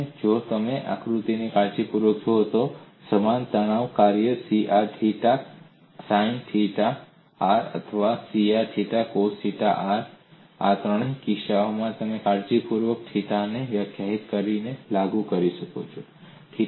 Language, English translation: Gujarati, And if you look at the diagram carefully, the same stress function C r theta sin theta or C r theta cos theta could be invoked for all these three cases, by carefully defining theta; theta is defined from the reference point as the loading